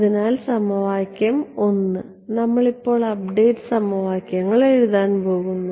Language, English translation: Malayalam, So, equation 1, we are going to write the update equations now ok